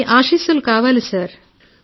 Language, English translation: Telugu, I need your blessings